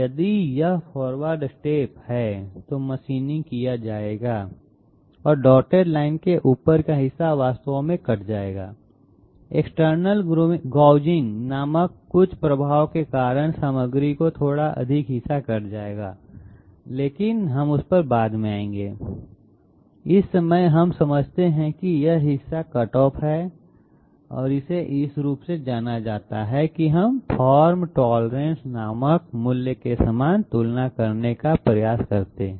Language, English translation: Hindi, If this is the forward step, machining will be done and this portion will be cut off actually a little more of the material will be cut off due to some effect called external gouging, but we will come to that later on, at this moment we understand that this part is cutoff and this is known as this we try to equate to a value called form tolerance